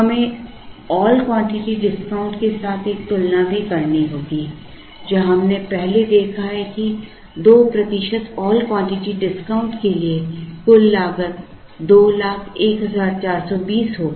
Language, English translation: Hindi, We also have to make a comparison with the all quantity discount, where we have earlier worked out that for a 2 percent all quantity discounts, the total cost turned out to be 201420